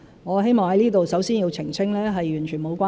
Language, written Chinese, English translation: Cantonese, 我希望在此首先澄清，是完全無關。, First of all I wish to clarify here that they are absolutely not related